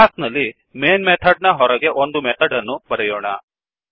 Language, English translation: Kannada, In the class outside the main method we will write a method